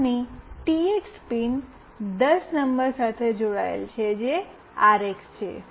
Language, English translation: Gujarati, And TX pin of this is connected to pin number 10, which is the RX